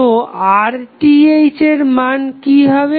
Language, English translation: Bengali, So, what would be the value of Rth